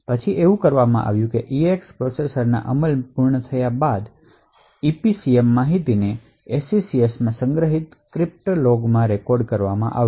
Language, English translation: Gujarati, Then done is that EADD completed implemented in the processor will then record EPCM information in a crypto log that is stored in the SECS